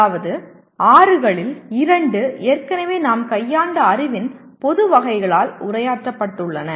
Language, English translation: Tamil, That means two of the six are already addressed by general categories of knowledge that we have already dealt with